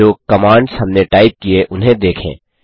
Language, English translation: Hindi, Let us look at the commands that we have typed in